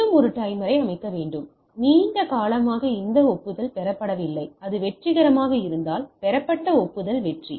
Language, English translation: Tamil, Again set a timer so, long this acknowledgement is not received and if it is successful if it is acknowledgement received is success